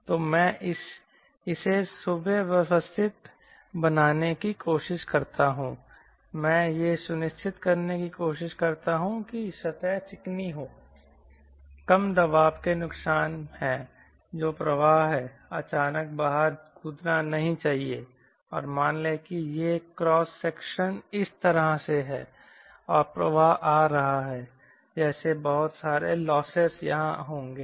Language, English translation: Hindi, i try to ensure that surfaces smoothen, there are less pressure losses, that is, flow should not suddenly jump out and all those things suppose rough, suppose this cross section is like this and flow is coming like lot of losses will be here